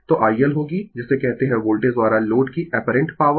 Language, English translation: Hindi, So, IL will be your what you call apparent power of load by Voltage